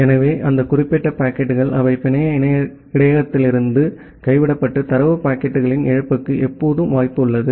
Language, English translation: Tamil, So, there is always a possibility that those particular packets, those will get dropped from the network buffer and a loss of data packets